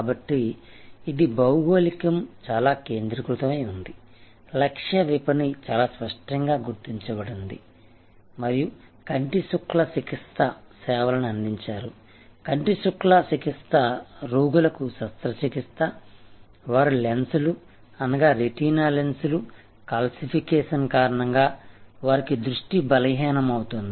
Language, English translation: Telugu, So, geography was very focused, the target market was very clearly identified and the service offered was cataract, treating cataract, operating on patients, impaired with impaired vision due to calcification of their lenses, retinal lenses called cataract